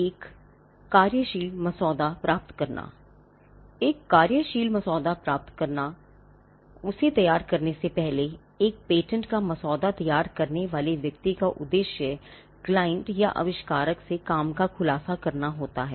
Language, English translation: Hindi, Getting a working disclosure: Before drafting a patent, the objective of a person who drafts a patent will be to get a working disclosure from the client or the inventor